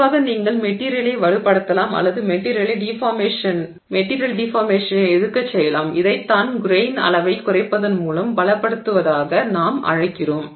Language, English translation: Tamil, So, generally you can strengthen the material or make the material resist deformation which is what we are calling as strengthening by reducing the grain size